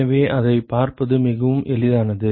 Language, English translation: Tamil, So, it is very easy to see that